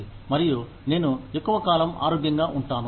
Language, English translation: Telugu, And, I stay healthier for a longer time